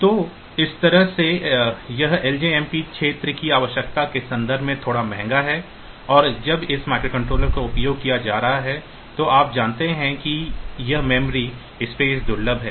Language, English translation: Hindi, So, that way this ljmp is slightly costly in terms of the area requirement and when this microcontroller is being used you know that this memory space is scarce